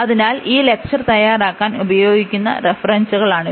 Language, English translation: Malayalam, So, these are the references used for preparing these lecturers